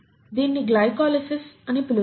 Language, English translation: Telugu, This is what you call as glycolysis